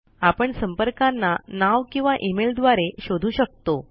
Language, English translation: Marathi, We can search for a contact using the Name or the By Email